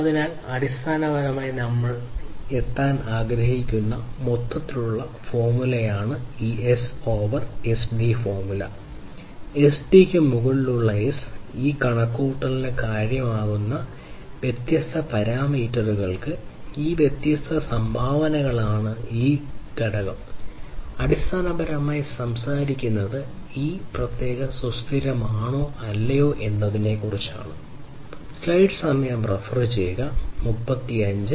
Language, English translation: Malayalam, So, this is basically the overall formula that we wanted to arrive at to start with we have looked at this S over SD formula and these are these different contributors to the different parameters that contribute to this computation of S over SD and this factor basically talks about whether a particular effort is sustainable or not